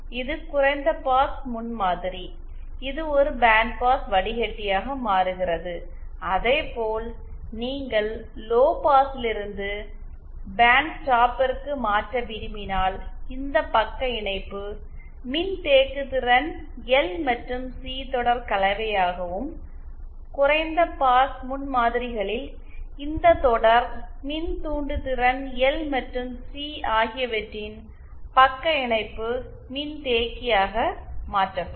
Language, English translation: Tamil, This was a low pass prototype, this becomes a bandpass filter and similarly if you want to convert from lowpass to bandstop, then we know that this shunt capacitance should be converted to series combination of L and C and this series inductance in low pass prototype to be converted to a shunt capacitance of L and C